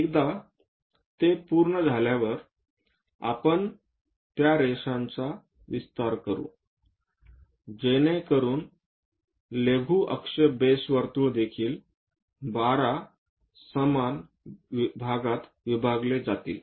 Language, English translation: Marathi, Once it is done, we will extend those lines so that there will be minor axis base circle also divided into 12 equal parts